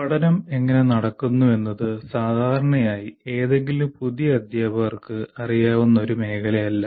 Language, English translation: Malayalam, The learning process, how learning takes place, that is not an area normally any new teacher has